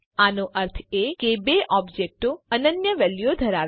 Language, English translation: Gujarati, This means that the two objects have unique values